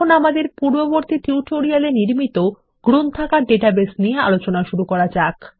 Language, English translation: Bengali, Let us consider the Library example database that we built in our previous tutorials